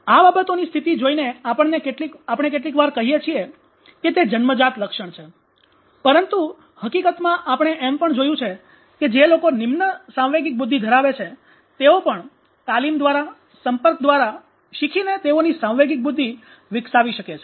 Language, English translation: Gujarati, So looking at that state of affairs we often say that it is inborn but actually in a reality we have seen that even people those who are low in their emotional intelligence can develop their emotional intelligence by training by exposure by learning etc